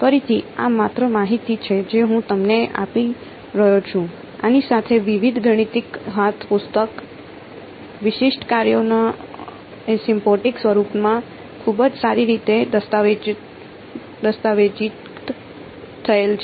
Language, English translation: Gujarati, Again this is just information I am giving you, with this is very very well documented in various mathematical hand books asymptotic forms of special functions